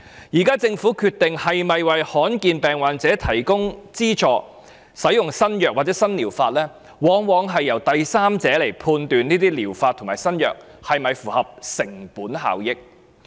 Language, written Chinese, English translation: Cantonese, 現時政府決定是否資助罕見疾病患者使用新藥物或新療法時，往往由第三者判斷這些療法及新藥物是否符合成本效益。, At present the Government bases its decision of subsidizing rare disease patients to use a new drug or treatment on a third - party cost - effectiveness assessment of using the drug or treatment